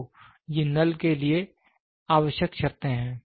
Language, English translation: Hindi, So, these are the conditions required for null